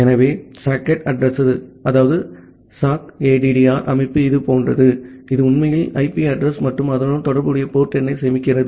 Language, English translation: Tamil, So, the sockaddr structure looks something like this, which actually stores the IP address and the corresponding port number